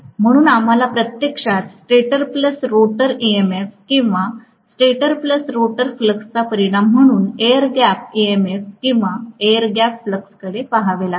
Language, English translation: Marathi, So we have to actually look at the air gap MMF or air gap flux as a resultant of stator plus rotor MMF or stator plus rotor fluxes